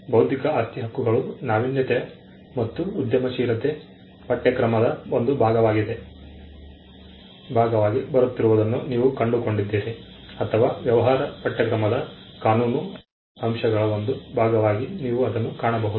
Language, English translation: Kannada, You find intellectual property rights coming as a part of the innovation and entrepreneurship course or you will find it as a part of the legal aspects of business course